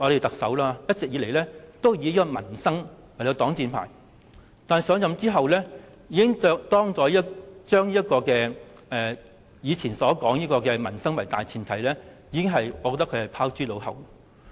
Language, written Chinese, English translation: Cantonese, 特首一直以來均以民生事項作擋箭牌，但上任後即將以往"以民生為大前提"的說法拋諸腦後。, All along the Chief Executive has been hiding behind this shield of peoples livelihood . Yet once assumed office she has thrown her words of attaching the greatest importance to peoples livelihood out of her mind